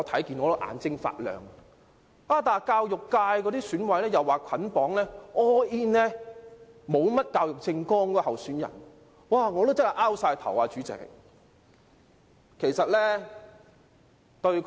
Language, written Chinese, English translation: Cantonese, 然而，教育界的選委說會捆綁投票給那位沒有教育政綱的候選人，我真的摸不着頭腦。, However members of the education subsector of the Election Committee have claimed that they would cast all of their votes for the candidate without an education platform . I really find it unfathomable